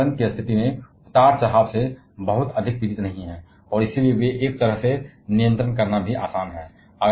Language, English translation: Hindi, They are not suffered too much by the fluctuations in the environmental conditions and therefore, they are easier to control in a way also